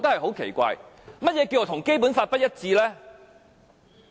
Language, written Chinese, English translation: Cantonese, 何謂跟《基本法》不一致？, What does it mean by inconsistent with the Basic Law?